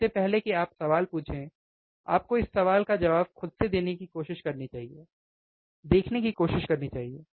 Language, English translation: Hindi, You bBefore you ask questions, you should try to answer this question by yourself, try to see, right